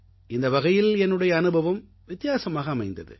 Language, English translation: Tamil, So I had a different sort of experience in this manner